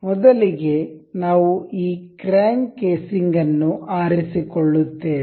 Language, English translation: Kannada, First of all, we will pick this crank casing